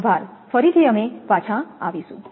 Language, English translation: Gujarati, Thank you, again we will be back